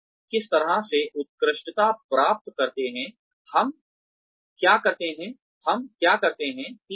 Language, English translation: Hindi, How do we excel at, what do we do at, what we do